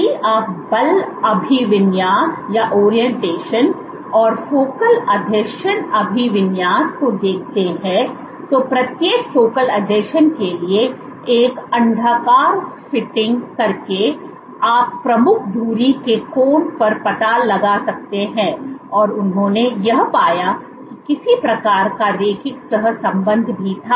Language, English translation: Hindi, If you were to look at the force orientation and the focal adhesion orientation so, by fitting an ellipse to each of the focal adhesions you can find out the angle of the mac the major axis and they found was even there was some correlation